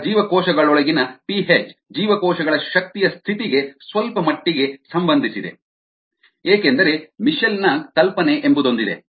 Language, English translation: Kannada, now the p h inside the cells can somewhat be related to the energy status of the cells because they something called a mitchells hypothesis